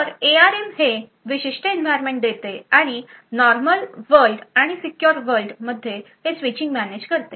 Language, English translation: Marathi, So, ARM provides this particular environment and provides and manages this switching between normal world and secure world